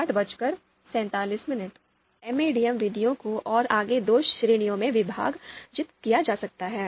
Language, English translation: Hindi, Now, MADM methods they can be further divided into two categories